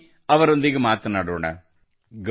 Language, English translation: Kannada, Come, let's talk to him